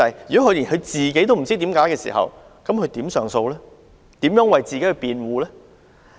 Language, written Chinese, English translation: Cantonese, 如果連申請人本人都不知道原因，又如何提出上訴和為自己辯護？, Nevertheless if the applicant does not even know the reasons for his visa refusal how can he make an appeal and defend himself?